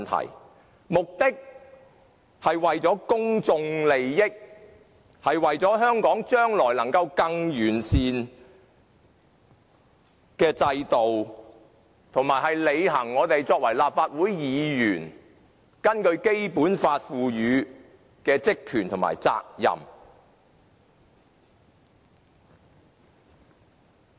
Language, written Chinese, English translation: Cantonese, 其目的是為了公眾利益，是為了香港將來能夠有更完善的制度，也是我們作為立法會議員履行《基本法》賦予的職權和責任。, The purpose is to ensure the public interest and enable Hong Kong to have a better system in the future . This also something we Legislative Council Members should do in order to fulfil the functions powers and duties vested with us under the Basic Law